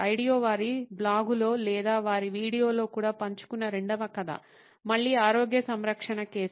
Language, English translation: Telugu, The second story that Ideo shared also on either their blog or their video is a case of again a health care case